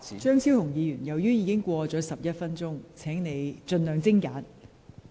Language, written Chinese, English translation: Cantonese, 張超雄議員，你已發言超逾11分鐘，請盡量精簡。, Dr Fernando CHEUNG you have spoken for more than 11 minutes . Please be concise by all means